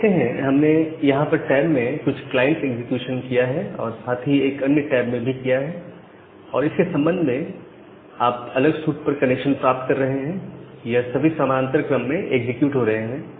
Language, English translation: Hindi, So, you see that we have made some client execution here in this tab and as well as in the another tab and correspond to that, you are getting the connections at different port and they are getting executed in parallel